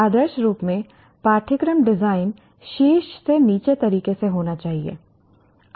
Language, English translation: Hindi, Ideally speaking, the curriculum design should happen in a top down manner